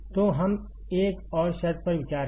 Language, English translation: Hindi, So, let us consider another condition